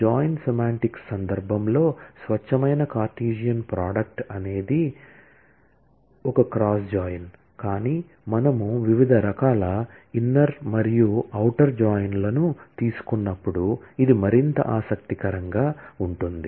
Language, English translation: Telugu, in the context of the join semantics, the pure Cartesian product is a cross join, but what would be more interesting is, when we take different kinds of inner and outer joins